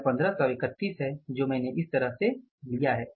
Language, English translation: Hindi, This is 1531 I have taken this way